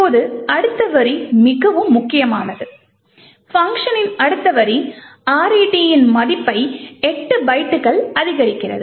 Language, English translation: Tamil, Now the next line is very crucial the next line of function increments the value of RET by 8 bytes